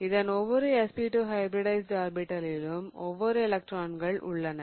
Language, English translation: Tamil, Each of these SP2 hybridized orbitals have one one electron each